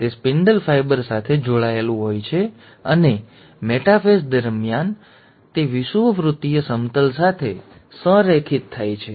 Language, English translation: Gujarati, It is attaching to the spindle fibre and it aligns to the equatorial plane during the metaphase